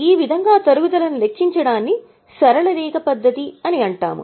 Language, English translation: Telugu, And this is known as straight line method